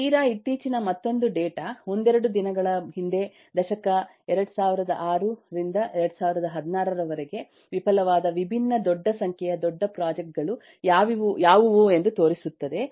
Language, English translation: Kannada, and eh, this is another eh data which is very, very recent couple of days back, which show that over the last decade, 2006 to 2016, again, what are the different number of large projects that have failed